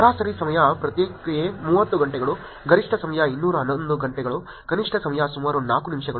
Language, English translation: Kannada, Average time response 30 hours, maximum time was 211 hours, minimum time was about 4 minutes